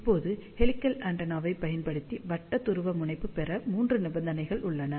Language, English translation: Tamil, Now, there are three conditions to obtain circular polarization using helical antenna